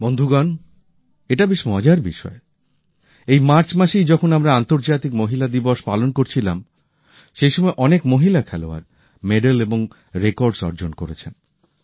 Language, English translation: Bengali, Friends, it is interesting… in the month of March itself, when we were celebrating women's day, many women players secured records and medals in their name